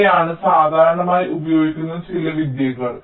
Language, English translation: Malayalam, these are some of the very commonly used techniques